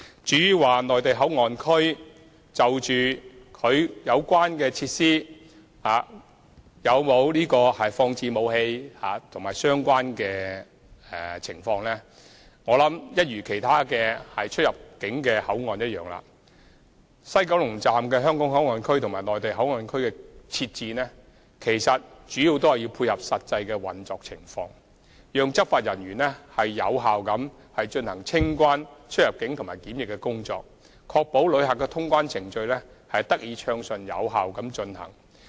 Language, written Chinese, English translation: Cantonese, 至於"內地口岸區"有否放置武器的相關設施及有關情況，我相信一如其他出入境口岸，西九龍站的"香港口岸區"和"內地口岸區"的設置，主要是為了配合實際運作情況，讓執法人員能有效地進行清關、出入境和檢疫工作，確保旅客的通關程序得以暢順有效地進行。, As for the availability of facilities for storing weapons at the Mainland Port Area and the related situation I believe that as all other boundary control points the Hong Kong Port Area and Mainland Port Area at WKS are established mainly for meeting the needs of actual operations so as to enable law enforcement officers to perform customs immigration and quarantine procedures effectively and ensure a smooth and efficient passenger clearance service